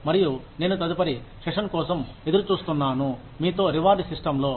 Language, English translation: Telugu, , I look forward to the next session, on reward systems, with you